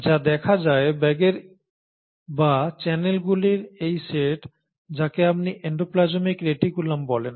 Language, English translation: Bengali, And what is observed, this set of bags or this set of network of channels is what you call as the endoplasmic reticulum